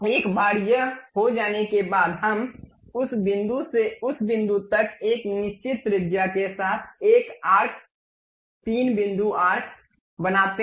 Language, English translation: Hindi, Once it is done, we make a arc 3 point arc from that point to that point with certain radius